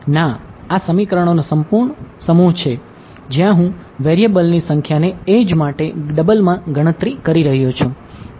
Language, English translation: Gujarati, No, this is the full set of equations where the number of variables I am doing a double counting on the edge ok